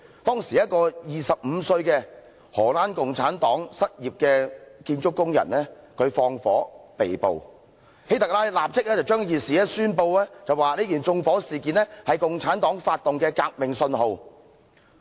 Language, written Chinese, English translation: Cantonese, 當時一個25歲的荷蘭共產黨失業建築工人縱火被捕，希特拉立即宣布此縱火案為共產黨發動革命的信號。, At the time a 25 - year - old unemployed Dutch construction worker from the Communist Party was arrested for arson . HITLER immediately denounced this arson attack as the Communist Partys signal of starting a revolution